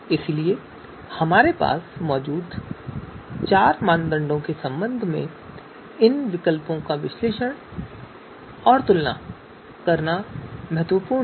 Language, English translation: Hindi, So which are you know and these alternatives are to be analyzed are to be compared with respect to the criteria you know four criteria that we have